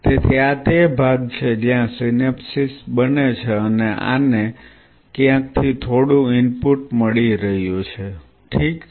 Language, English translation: Gujarati, So, these are the zones where synapses will be forming and this may be getting some input from somewhere or ok